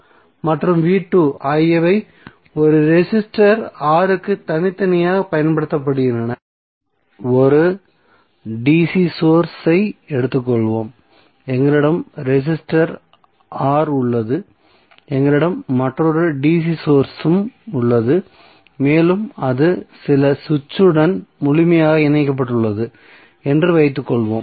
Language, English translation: Tamil, So V1 and V2 we both are applying separately to a resistor R, let us take 1 dc source and we have resistor R, we have another dc source and suppose it is connected thorough some switch